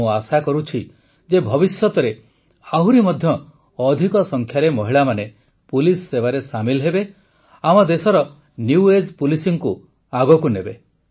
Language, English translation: Odia, I hope that more women will join the police service in future, lead the New Age Policing of our country